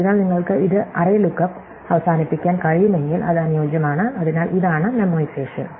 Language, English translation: Malayalam, So, if you can make it up end of array look up that is an ideal, so this is memoization